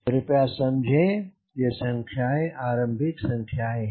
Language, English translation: Hindi, please understand, these are your starting numbers